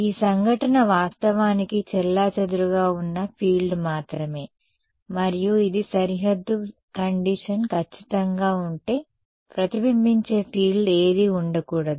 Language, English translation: Telugu, So, this incident is actually a scattered field only and if this a boundary condition was perfect, there should not be any reflected field